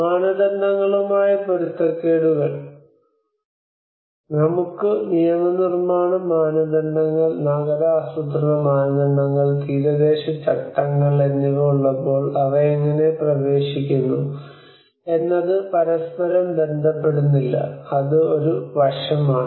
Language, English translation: Malayalam, Mismatches regarding the norms: when we have the legislative norms, urban planning norms, coastal regulations how they enter do not relate to each other that is one aspect